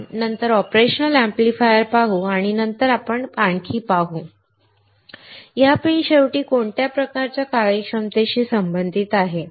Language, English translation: Marathi, We will see operational amplifier later and then we will see more; how these pins are related to what kind of functionality finally